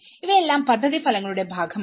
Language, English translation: Malayalam, So all these have been a part of the project outcomes